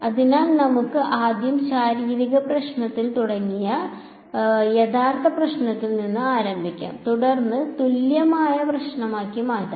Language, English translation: Malayalam, So, let us let us start with start with the real problem the physical problem like earlier started with physical problem and then the converted into an equivalent problem